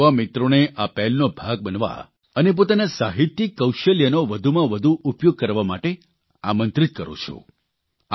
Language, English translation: Gujarati, I invite my young friends to be a part of this initiative and to use their literary skills more and more